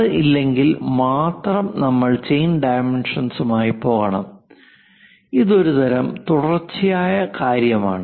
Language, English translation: Malayalam, If that is not there then only, we should go with chain dimensioning; this kind of continuous thing